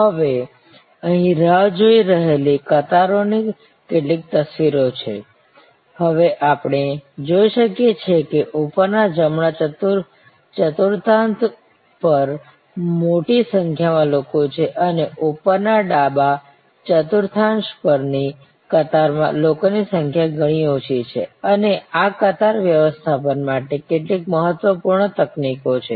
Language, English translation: Gujarati, Now, here are some pictures of waiting lines, now we can see on top there are large number of people on the top right quadrant and there are far lesser number of people on the queue on the top left quadrant and these are some important techniques for queue management